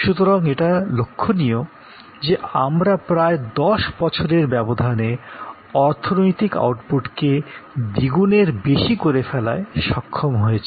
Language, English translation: Bengali, So, we were looking at more than doubling in the economic output over a span of about 10 years